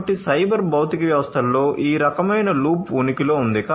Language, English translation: Telugu, So, this kind of loop is going to exist in cyber physical systems